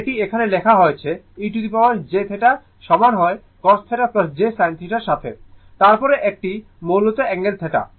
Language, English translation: Bengali, And it is written here e to the power j theta is equal to cos theta plus ah j sin theta, then one angle theta that is angle theta basically